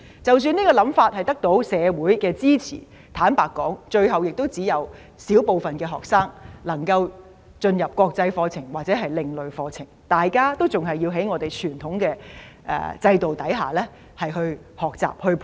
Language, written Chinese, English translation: Cantonese, 即使這個想法得到社會支持，坦白說，最後只有小部分學生能夠修讀國際課程，或者另類課程，大部分學生還是要在傳統制度下學習。, I also understand that even if the idea is supported by the society honestly only a minority of students will eventually be taught an international or alternative curriculum . The majority of students will still learn under the traditional system